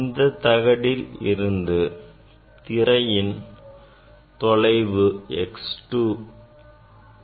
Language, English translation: Tamil, from this plate the distance of the screen is x 2